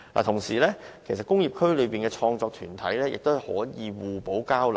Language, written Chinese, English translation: Cantonese, 同時，工業區內的創作團體亦可以互相交流。, Industrial districts also provide a platform for exchanges among creative groups